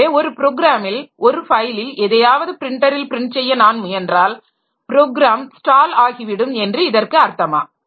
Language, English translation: Tamil, So, does it mean that when I try in a program to print something onto a file or onto the printer, my program will be stalled